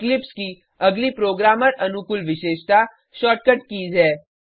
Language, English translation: Hindi, Ctrl, S to save The next programmer friendly feature of eclipse is the shortcut keys